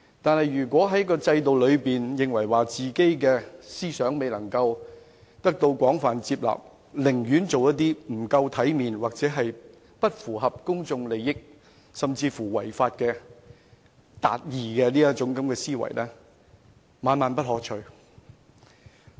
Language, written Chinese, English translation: Cantonese, 可是，如果在制度中，由於認為自己的思想未能得到廣泛接納，寧可做一個不夠體面、不符合公眾利益的人，甚至有違法達義的思維，實在是萬萬不可取。, However if people who feel that their ideas are not widely accepted in the existing system would rather not behave properly and act against the common good or even think about achieving justice by violating the law such thoughts and mentality are absolutely undesirable